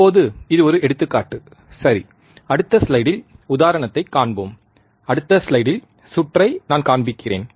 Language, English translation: Tamil, Now this is just just an example ok, we will see example in the next slide, circuit in the next slide just I am showing